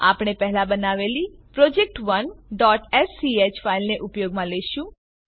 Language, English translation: Gujarati, We will use the file project1.sch created earlier